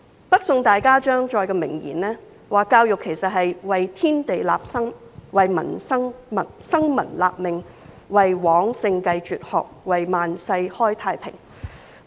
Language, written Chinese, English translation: Cantonese, 北宋大家張載的名言，說教育是"為天地立心，為生民立命，為往聖繼絕學，為萬世開太平"。, In the famous words of ZHANG Zai of the Northern Song Dynasty education is to ordain conscience for Heaven and Earth to secure life and fortune for the people to continue lost teachings for past sages and to establish peace for all future generations